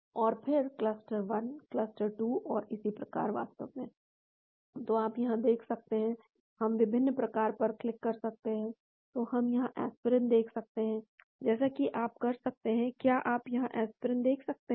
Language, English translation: Hindi, And then the cluster 1, cluster 2 and so on actually, so you can see here, we can click on different clusters , so we can see the aspirin here, as you can; can you see the aspirin here